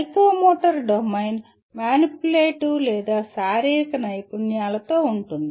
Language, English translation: Telugu, The psychomotor domain involves with manipulative or physical skills